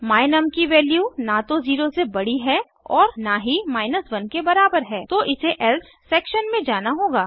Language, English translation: Hindi, The value of my num is neither greater than 0 nor equal to 1 it will go into the else section